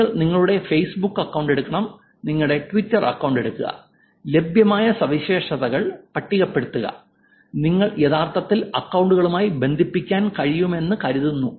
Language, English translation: Malayalam, Take your Facebook account, take your Twitter account, list on the features that are available that you think you can actually connect with the accounts